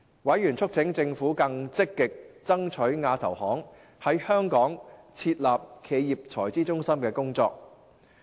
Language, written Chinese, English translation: Cantonese, 委員促請政府更積極爭取亞投行在香港設立企業財資中心的工作。, Members urged the Administration to step up efforts in pursuing the setting up of AIIBs corporate treasury centre in Hong Kong